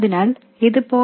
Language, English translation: Malayalam, VT is only 0